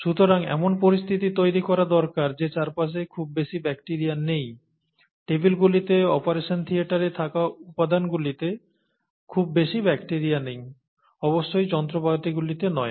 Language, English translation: Bengali, not much bacteria around, not much bacteria on the tables, on the material that is in the operation theatre, certainly not in the instruments and so on